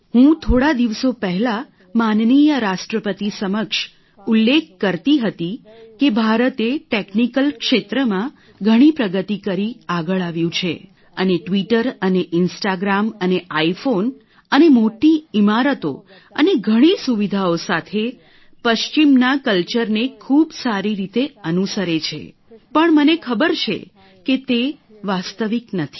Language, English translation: Gujarati, I was mentioning I think to Hon'ble President a few days ago that India has come up so much in technical advancement and following the west very well with Twitter and Instagram and iPhones and Big buildings and so much facility but I know that, that's not the real glory of India